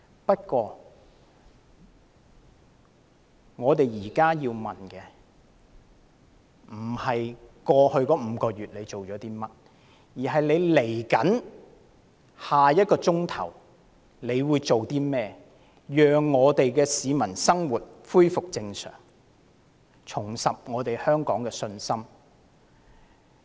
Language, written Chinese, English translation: Cantonese, 不過，我們現在要問的不是特區政府在過去5個月做了些甚麼，而是在未來1小時會做些甚麼，讓市民的生活恢復正常，重拾對香港的信心。, However we are not trying to find out now what the SAR Government has done over the past five months but are asking what it will do in the coming hour to enable peoples life to resume normal thereby restoring their confidence in Hong Kong